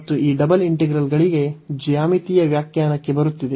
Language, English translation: Kannada, And coming to the geometrical interpretation for these double integrals